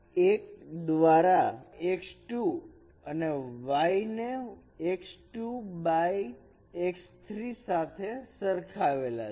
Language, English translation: Gujarati, So x is equated with x1 by x3 and y is equated with x2 by x3